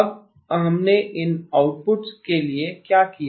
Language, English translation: Hindi, Now what did we do to these outputs